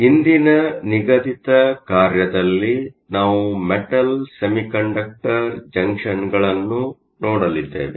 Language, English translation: Kannada, In today’s assignment, we are going to look at Metal semiconductor junctions